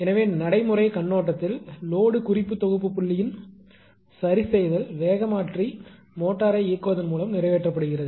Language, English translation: Tamil, So, from the practical point of view the adjustment of load different set point is accomplished by operating the speed changer motor